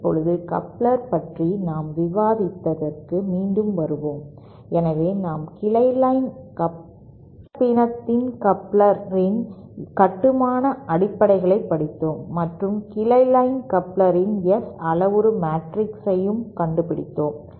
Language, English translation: Tamil, Now, coming back to our discussion on couplers, so we have studied the basic construction of the coupler of a branch line hybrid and we have also found out the S parameter matrix of that branch line coupler